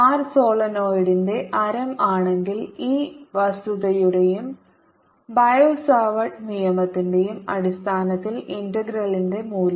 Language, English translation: Malayalam, if r is the radius of the solenoid, then on the basis of this fact and and bio savart law, the value of the integral